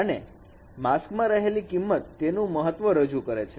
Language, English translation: Gujarati, And these values in the mask they represent the weights